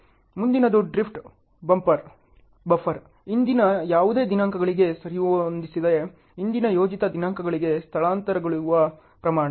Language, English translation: Kannada, The next is Drift Buffer the amount of shift to earlier planned dates without forcing any of it’s predecessors to earlier dates ok